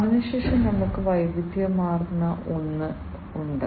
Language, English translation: Malayalam, Thereafter, we have the diversified one